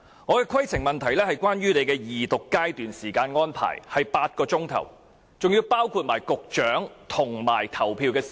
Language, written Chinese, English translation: Cantonese, 我的規程問題是，你安排二讀階段的時間是8小時，當中包括局長發言及投票時間。, My point of order is as follows . You have allocated eight hours for the Second Reading including the speaking time of the Secretary and voting time